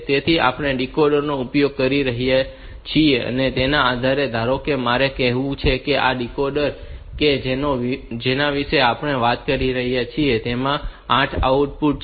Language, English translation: Gujarati, So, depending upon the decoder that we are using, suppose, I have got say this decoder that we are talking about say this decoder has got 8 output